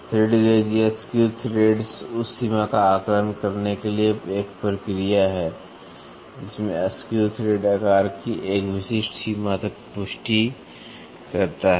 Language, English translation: Hindi, Thread gauge or of screw threads is a process for assessing the extent to which the screw thread confirms to a specific limit of the size